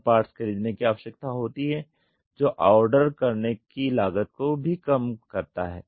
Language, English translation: Hindi, Fewer parts need to be purchased which reduces the ordering cost also